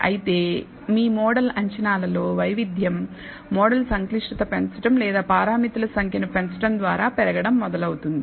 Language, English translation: Telugu, However, the variability in your model predictions that will start increasing as you increase the model complexity or number of parameters